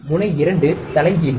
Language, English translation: Tamil, Pin 2 is inverting